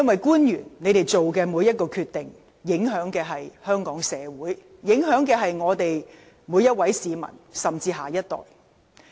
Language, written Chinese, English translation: Cantonese, 官員所作的每個決定，都會影響香港社會、每位市民甚至下一代。, Every decision made by public officers will affect the local community every member of the public and even the next generation